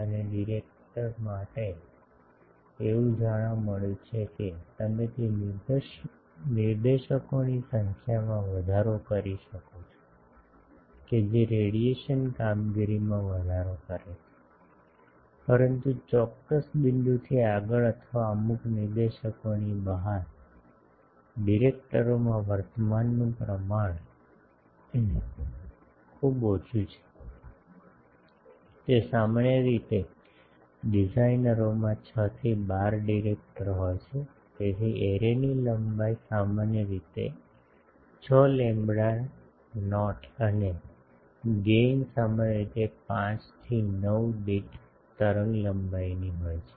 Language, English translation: Gujarati, And for directors, it has been found that you can increase that number of directors that increases the radiation performance, but beyond a certain point or beyond a certain number of directors, induce current in the director is so small; that is contribution to radiation becomes negligible Usually the designers have 6 to 12 directors, so array length is typically 6 lambda not and gain is typically 5 to 9 per wavelength